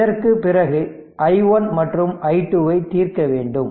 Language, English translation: Tamil, So, after this you have to solve for your what you call i 1 and i 2